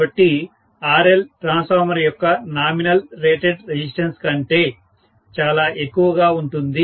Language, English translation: Telugu, So, RL is going to be much much higher than the nominal rated resistance of the transformer